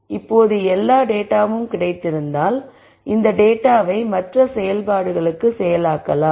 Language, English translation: Tamil, Now if all the data were available then you could process this data for other activities